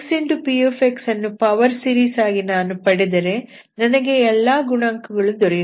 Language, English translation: Kannada, Once you have x into px as power series, I know all the coefficients